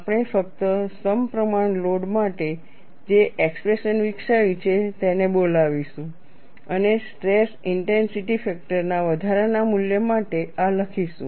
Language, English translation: Gujarati, We would just invoke the expressions that we have developed for a symmetric load, and write this for an incremental value of stress intensity factor